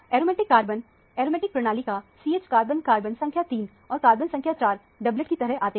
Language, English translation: Hindi, The aromatic carbons – the CH carbons of the aromatic system – carbon number 3 comes as a doublet and carbon number 4 also comes as a doublet